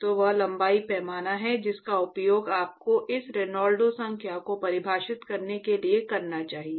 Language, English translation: Hindi, So, that is the length scale that you should use for defining this Reynolds number